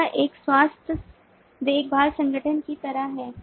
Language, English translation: Hindi, so this is like a health care organization